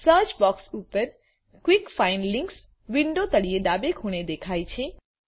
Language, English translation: Gujarati, The quick find links on the search box appears, at the bottom left corner of the window